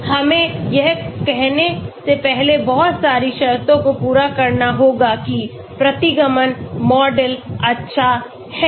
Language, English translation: Hindi, We need to have lot of conditions to be satisfied before we say that the regression model is good